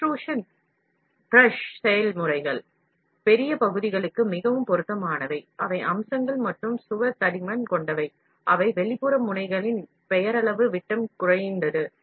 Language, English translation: Tamil, Extrusion pressure processes are therefore, more suitable for larger parts, that have features and wall thickness that are at least twice the nominal diameter of the extrusion nozzle, this is a thumb rule which you should understand